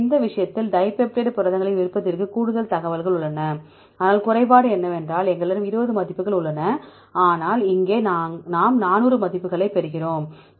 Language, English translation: Tamil, So, in this case dipeptide proteins preference have more information, but the drawback is there we have 20 values, but here we get 400 values